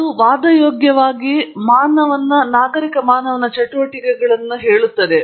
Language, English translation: Kannada, He says it is arguably the most civilized of human undertakings